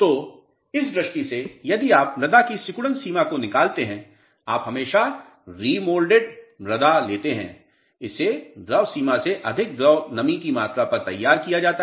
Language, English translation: Hindi, So, with this in view, if you determine the shrinkage limit of the soil you take remolded soil and always it is prepared at liquid moisture content more than liquid limit